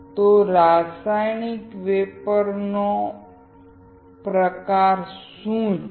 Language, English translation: Gujarati, So, what are the kind of chemical vapor deposition